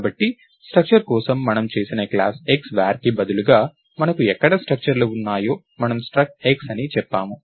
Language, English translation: Telugu, So, instead of class X var which we did for structures, right wherever we had structures, we said struct X and so, on